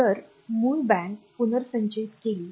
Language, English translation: Marathi, So, that the original bank gets restored